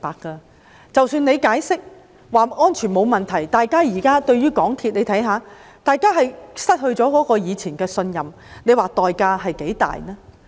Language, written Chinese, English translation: Cantonese, 即使港鐵公司解釋安全沒有問題，但大家現在對它已經失去以前的信任，代價相當大。, Even though MTRCL explained that there are no safety issues now that everyone has lost the trust in it the price to pay is rather high